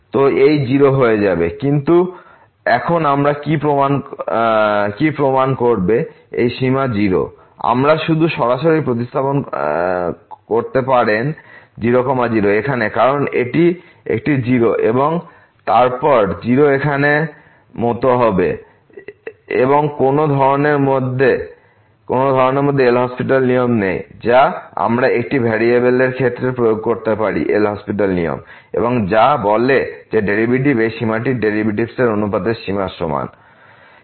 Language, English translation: Bengali, We cannot just directly substitute here because this will be like a 0 and then 0 here and there is no such an L'Hospital rule which we can apply in case of one variable we had the L'Hospital rule and which says that the derivative this limit will be equal to the limit of the ratio of the derivatives